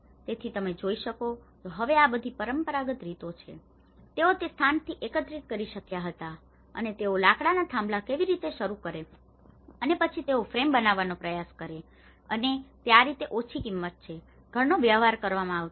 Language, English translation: Gujarati, So, what you can see is now these are all some of the traditional patterns, which they could able to gather from that location and how they just start that timber poles and then they try to make the frame and that is how a small low cost house has been dealt